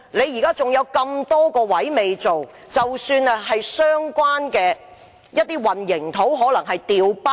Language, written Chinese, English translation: Cantonese, 現在還有很多位置未進行測試，還有混凝土可能被"調包"。, There are still many locations which have not been tested and there may be instances of replacement of test samples